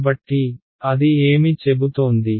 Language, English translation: Telugu, So, what is it saying its saying